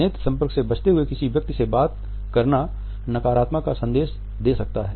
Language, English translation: Hindi, Talking to a person with in avoidance of eye contact passes on negative connotations